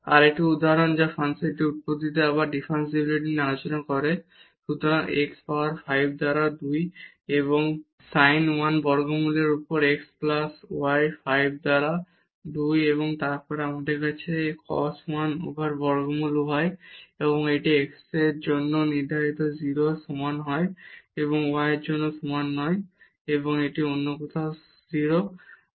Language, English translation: Bengali, Another example which discuss the differentiability again at the origin of this function: so, x power 5 by 2 and the sin 1 over square root x plus y 5 by 2 and then we have cos 1 over square root y and this is defined for x not equal to 0 and y not equal to 0 and this is 0 elsewhere